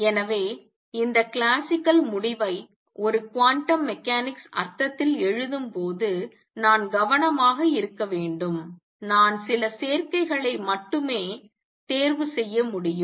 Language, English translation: Tamil, So, while writing this classical result in a quantum mechanics sense, I have to be careful I can choose only certain combinations